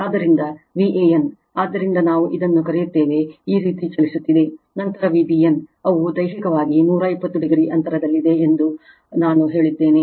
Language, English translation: Kannada, So, V a n, so it is your what we call it is moving like this, then V b n, it is I told they are 120 degree apart physically right